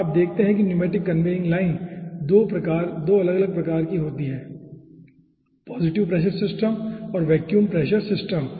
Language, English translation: Hindi, and you see, the pneumatic conveying lines are 2 different types: positive pressure system and vacuum pressure system